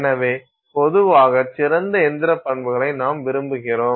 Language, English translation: Tamil, So, generally we want better mechanical properties